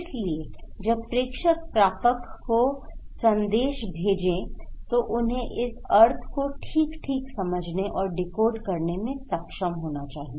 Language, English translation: Hindi, So, when senders are sending message to the receiver, they should able to understand and decodify the meaning that sender sent okay